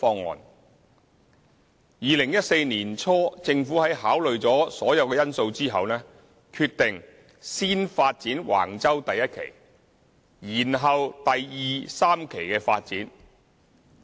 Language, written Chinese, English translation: Cantonese, 在2014年年初政府於考慮所有因素後，決定先發展橫洲第1期，延後第2、3期的發展。, Having considered all factors the Government decided in early 2014 to develop Wang Chau Phase 1 first and delay the development of Phases 2 and 3